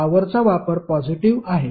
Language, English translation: Marathi, The power consumption is positive